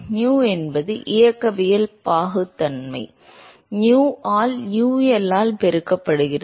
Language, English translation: Tamil, Nu is the kinematic viscosity, multiplied by nu by UL